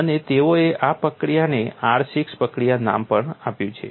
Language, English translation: Gujarati, And they have also named the procedure as R6 procedure